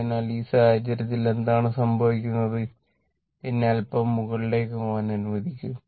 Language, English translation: Malayalam, So, in this case, what is happening that just let me move little bit up